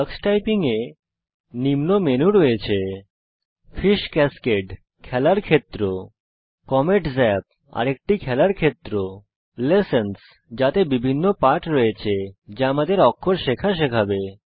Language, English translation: Bengali, Tux Typing comprises the following menus: Fish Cascade – A gaming zone Comet Zap – Another gaming zone Lessons – Comprises different lessons that will teach us to learn characters